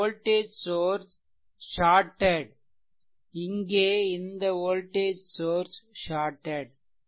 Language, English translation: Tamil, So, this voltage this voltage source is shorted here, voltage source is shorted here right here